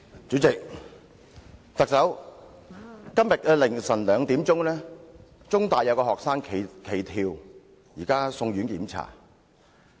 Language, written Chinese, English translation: Cantonese, 主席，特首，今天凌晨2時，香港中文大學有學生企圖跳樓，現正送院檢查。, President Chief Executive at 2col00 am today a student of The Chinese University of Hong Kong tried to jump down from a building and he has been rushed to hospital for examination